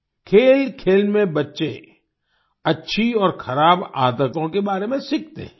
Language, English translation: Hindi, Through play, children learn about good and bad habits